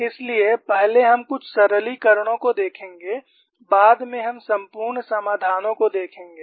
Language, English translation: Hindi, So, first we look at certain simplifications, later on we look at exhausted solution